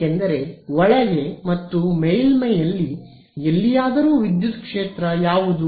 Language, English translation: Kannada, Yes, that because any where inside and on the surface what is the electric field